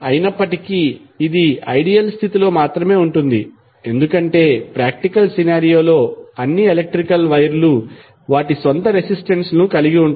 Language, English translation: Telugu, So, that is basically the ideal condition, because in practical scenario all electrical wires have their own resistance